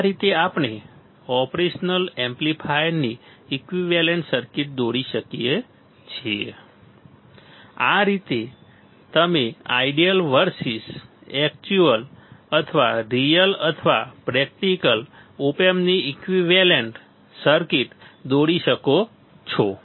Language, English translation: Gujarati, This is how we can draw the equivalent circuit of the operational amplifier, this is how you can draw the equivalent circuit of ideal versus actual or real or practical op amp right, ideal or real or practical op amp easy, easy right